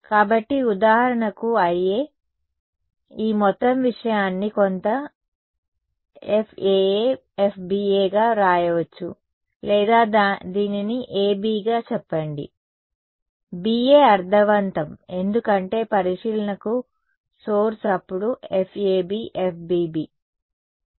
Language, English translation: Telugu, So, I A for example so, this whole thing can be written as say some F A A F B A or let us call it A B; B A make sense because source to observation then F A B F B B